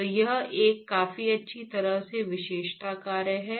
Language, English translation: Hindi, So, it is a fairly well characterized function